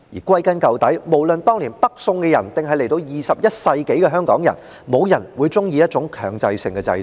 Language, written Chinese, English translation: Cantonese, 歸根究底，無論是當年的北宋，還是及至21世紀的香港，都沒有人會喜歡強制性的制度。, In the final analysis no one likes a mandatory system be they peasants in the Northern Song Dynasty or Hong Kong people in the 21 century